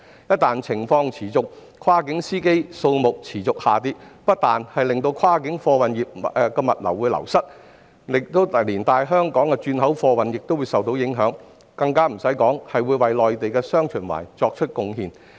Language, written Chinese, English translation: Cantonese, 一旦情況持續，跨境司機數目持續下跌，不但跨境貨運業務流失，香港的轉口貨運亦會受到影響，更遑論為內地"雙循環"作出貢獻。, In case the situation persists and the number of cross - boundary drivers continues to drop this will not only undermine the cross - boundary freight business but will also affect Hong Kongs cargo transhipment not to mention making contribution to the dual circulation of the Mainland